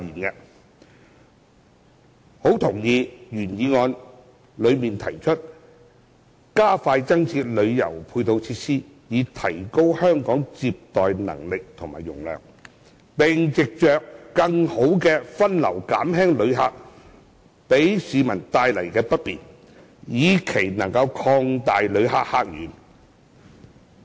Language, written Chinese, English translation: Cantonese, 我相當認同原議案提出"加快增設旅遊配套設施，以提高香港接待旅客的能力和容量，並藉著更好的分流減輕旅客給市民帶來的不便，以期能擴大旅客客源"。, I very much agree with the original motion to expedite the provision of additional tourism supporting facilities to upgrade Hong Kongs visitor receiving capability and capacity and alleviate the inconvenience caused by visitors to members of the public through better diversion so as to open up new visitor sources